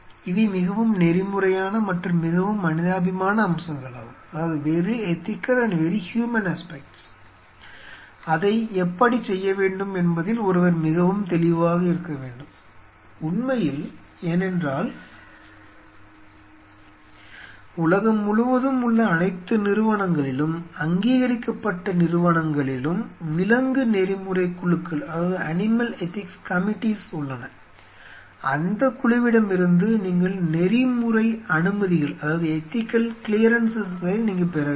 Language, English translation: Tamil, These are very ethical and very human aspects which one has to be very clear and how really want to do it because then there are every institute across the world, recognized institutes have animal ethics committees then you have to take ethical clearances, you should know what all ethical clearances we needed to know